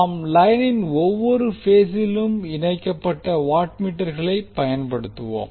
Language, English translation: Tamil, We will use the watt meters connected in each phase of the line